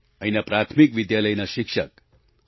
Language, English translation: Gujarati, A Primary school teacher, P